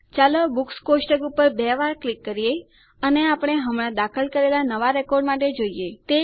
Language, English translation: Gujarati, Let us double click on the Books table and look for the new record we just inserted